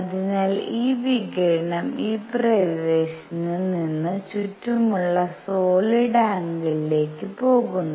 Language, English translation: Malayalam, So, this radiation is going all around from this area into the solid angle all around